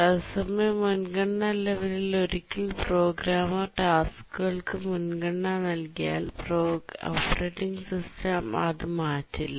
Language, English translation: Malayalam, What we mean by real time priority levels is that once the programmer assigns priority to the tasks, the operating system does not change it